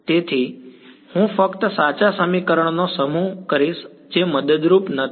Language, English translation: Gujarati, So, I will just the set of true equation which are not helpful ok